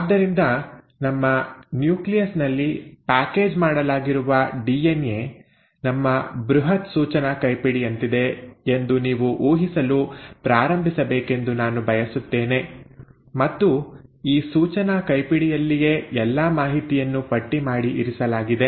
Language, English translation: Kannada, So I want you to start imagining that DNA which is packaged in our nucleus is like our huge instruction manual, and it is in this instruction manual that all the information is kind of catalogued and kept